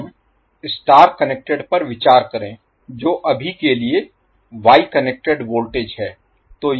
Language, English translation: Hindi, Now, let us consider the star connected that is wye connected voltage for now